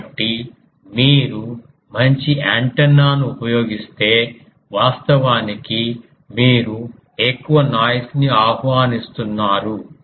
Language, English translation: Telugu, So, if you use a good antenna then [laughter] actually you are inviting more noise